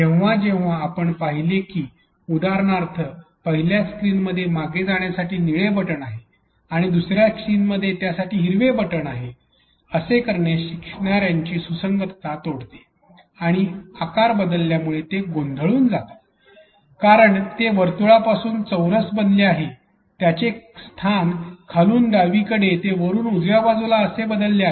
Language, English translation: Marathi, Whenever we see that for example, in the first screen we have a blue button for back and in the second screen we have a green button for black, it just breaks the consistency of the learner and they are confused about even the shape had changed because from circle it has become a square, the position has changed from the bottom left to top right